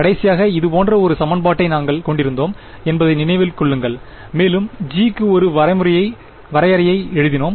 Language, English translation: Tamil, Remember we had last time an equation like this and we wrote a definition for g